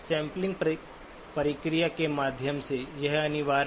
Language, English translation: Hindi, Through the sampling process, this is inevitable